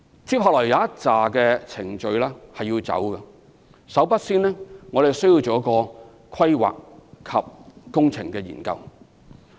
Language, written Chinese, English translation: Cantonese, 接下來需要進行一些程序，首先我們需要進行規劃及工程研究。, Our next step is to go through certain procedures first of which is to conduct planning and works studies